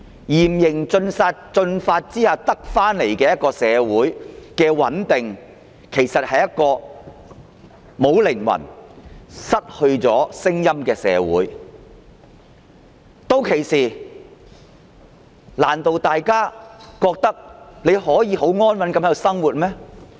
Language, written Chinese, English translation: Cantonese, 然而，在嚴刑峻法下獲得的穩定的社會，是一個沒有靈魂、失去聲音的社會，難道大家覺得屆時仍然可以很安穩地在香港生活嗎？, However a society securing stability with stern laws and severe punishments is a soulless one which has lost its voice . Do Members really think we can still live in peace in Hong Kong then?